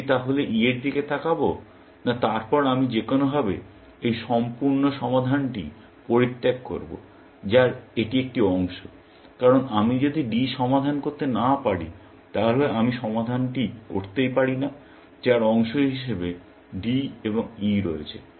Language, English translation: Bengali, Then, I should somehow abandon this whole solution of which, this is a part, because if I cannot solve D, then I cannot compose the solution, which has D and E as their parts